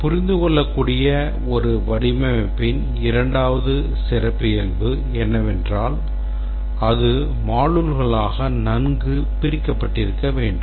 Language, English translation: Tamil, And the second characteristic of a design which is understandable is that it should have been decomposed well into modules